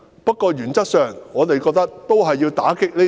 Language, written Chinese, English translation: Cantonese, 不過，原則上，我們都認為要打擊這三座"大山"。, Having said that we consider it necessary to tackle these three big mountains in principle